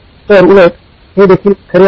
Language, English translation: Marathi, So the opposite is also true